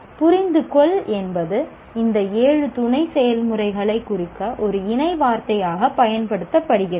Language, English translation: Tamil, So, understand is a word that is used to as a number of a word to represent these seven sub processes